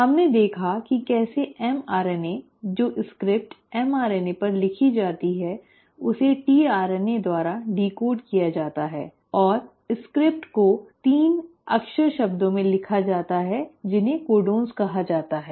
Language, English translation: Hindi, We saw how mRNA, the script which is written on mRNA is decoded by the tRNA and the script is written into 3 letter words which are called as the codons